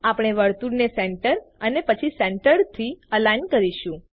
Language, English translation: Gujarati, We shall align the circle to Centre and then to Centered